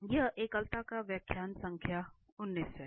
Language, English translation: Hindi, So, this is lecture number 19 on Singularities